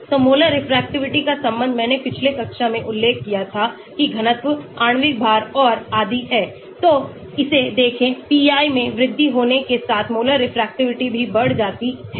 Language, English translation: Hindi, so Molar Refractivity is related to I mentioned in the previous class the density, the molecular weight and so on and so look at this as pi increases Molar Refractivity also increases